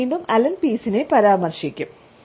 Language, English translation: Malayalam, I would refer to Allen Pease again